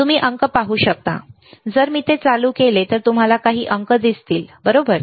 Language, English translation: Marathi, You can see digit, you if I turn it on you will see some digit, right